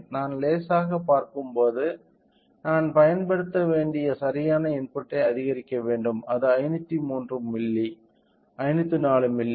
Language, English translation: Tamil, So, when I see slightly I have to increase right input applied is of 503 milli, 504 milli output we are getting a 4